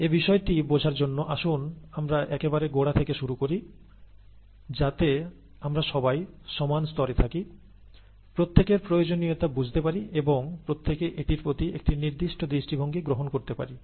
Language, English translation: Bengali, To understand this, let me start at the very basics, and, so that we are all at the same level, everybody understands the need and everybody takes a certain view to that